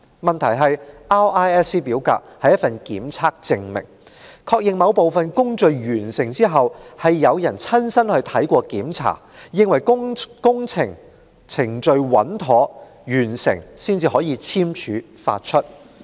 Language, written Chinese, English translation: Cantonese, 問題是 RISC 表格是一份檢測證明，確認在某部分工序完成後，有人親身到場視察並檢查，證實工程程序穩妥完成，才可簽署發出。, The problem is that RISC forms are proof of inspection confirming that a given works procedure upon completion has been inspected on - site and signed off by someone as verification of the proper completion of the procedure